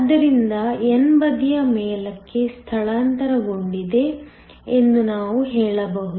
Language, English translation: Kannada, So, what we can say is that the n side has shifted up